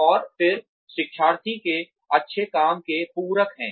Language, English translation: Hindi, And then, complement the good work of the learner